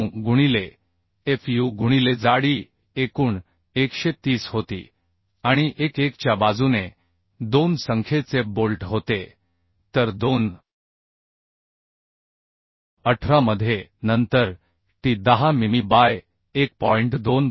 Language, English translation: Marathi, 9 into fu into the thickness was total 130 and 2 numbers of bolts along 1 1 so 2 into 18 then t is 10 mm by 1